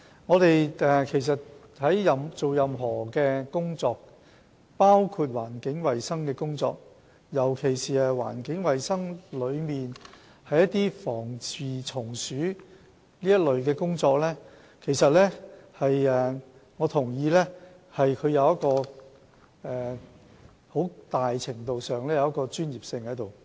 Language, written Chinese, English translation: Cantonese, 我同意我們做任何工作，包括環境衞生工作，尤其是環境衞生中的防治蟲鼠工作，很大程度上需要具備專業知識，所以食環署的防治蟲鼠組人員都是專家。, I agree that in performing any tasks including environmental hygiene - related tasks particularly pest control for environmental hygiene expertise is required to a great extent so staff members of the Pest Control Teams of LCSD are all experts